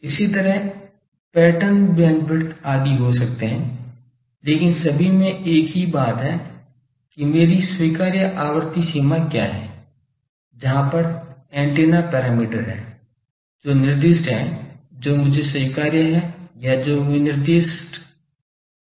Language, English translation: Hindi, Similarly, there can be pattern bandwidth etc, but all has the same thing that what is my acceptable frequency range, where the thing that is the antenna parameter that is specified that is acceptable to me or that is within a specification